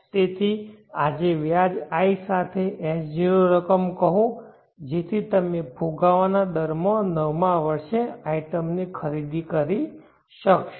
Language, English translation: Gujarati, So say S0 amount today with interest I, so that you will be able to purchase the item in the nth year having inflation S